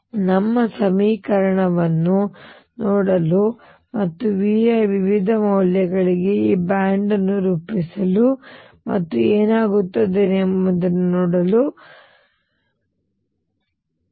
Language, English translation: Kannada, What our urge to do is look at this equation and try to plot these bands for different values of V and see what happens